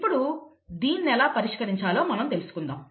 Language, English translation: Telugu, So let us look at how to solve this